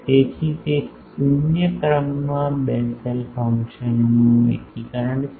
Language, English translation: Gujarati, So, it is an integration of Bessel function of 0 order